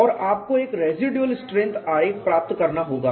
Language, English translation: Hindi, And you have to get a residual strength diagram